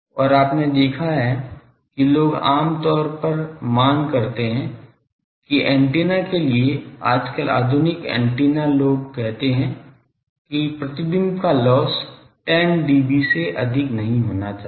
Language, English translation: Hindi, And you have seen that people generally demand that the for antennas, nowadays modern antennas people say that, the reflection loss should not be more than 10 dB